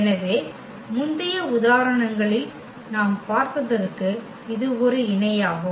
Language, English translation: Tamil, So, exactly it is a parallel to what we have just seen in previous examples